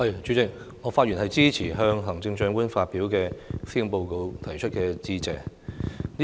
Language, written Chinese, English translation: Cantonese, 主席，我發言支持就行政長官發表的施政報告提出致謝議案。, President I rise to speak in support of the Motion of Thanks on the Policy Address delivered by the Chief Executive